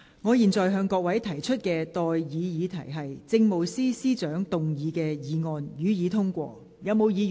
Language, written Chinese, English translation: Cantonese, 我現在向各位提出的待議議題是：政務司司長動議的議案，予以通過。, I now propose the question to you and that is That the motion moved by the Chief Secretary for Administration be passed